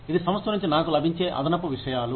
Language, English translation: Telugu, It is additional things, that I get, from the organization